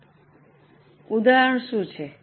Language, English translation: Gujarati, Now, what is an example